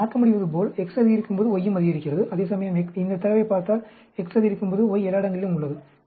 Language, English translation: Tamil, As you can see, as X increases, Y also increases; whereas here, if you see this data, as X increases, y is all over the place